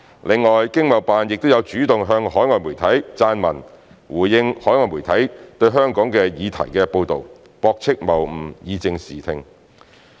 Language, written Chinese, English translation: Cantonese, 另外，經貿辦亦有主動向海外媒體撰文，回應海外媒體對香港的議題報道，駁斥謬誤，以正視聽。, In addition they would also take the initiative to send written articles to overseas media in response to their coverage of issues involving Hong Kong and by rebutting fallacious comments set the record straight